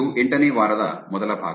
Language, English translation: Kannada, This is week 8, the first part of week 8